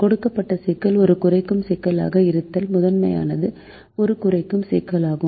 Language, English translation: Tamil, if the given problem is a minimization problem, then the primal is a minimization problem